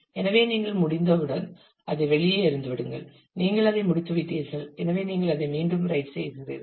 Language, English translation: Tamil, So, as soon as you are done you just throw it out you are you are done with it so you write it back